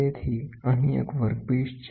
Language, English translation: Gujarati, So, here is a workpiece